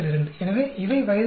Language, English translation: Tamil, So, these are the age average